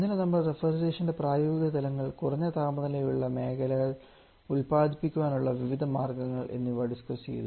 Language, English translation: Malayalam, Yesterday, we have also discussed about the applications of refrigeration different ways of were producing the low temperature zone